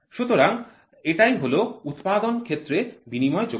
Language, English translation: Bengali, So, that is the interchangeability in manufacturing